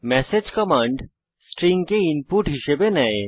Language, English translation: Bengali, message command takes string as input